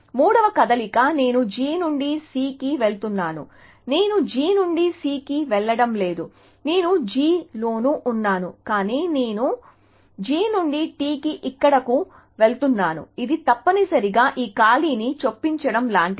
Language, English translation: Telugu, The third move I am going from G to C, I am not going from G to C, I am staying in G, but I am going from G to T here, which is like inserting a gap in this essentially